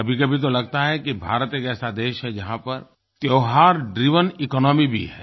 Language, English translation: Hindi, At times it feels India is one such country which has a 'festival driven economy'